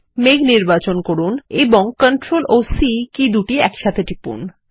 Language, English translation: Bengali, To paste, press CTRL and V keys together